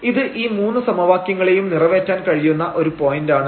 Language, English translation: Malayalam, This is the point which is which satisfies all these 3 equations